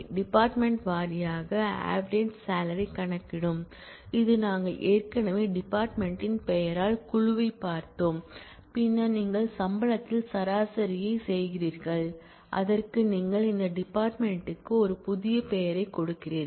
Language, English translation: Tamil, So, where what is been found here this will compute the average salary department wise average salary which we have already seen group by department name and then you do average on the salary and you give it that field a new name